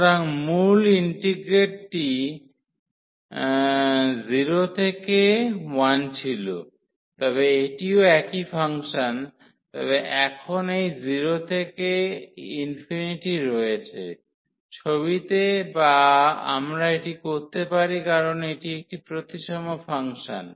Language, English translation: Bengali, So, in the original integrate was 0 to 1, but this is also the same function, but having this 0 to infinity now, into the picture or we can because this is a symmetric function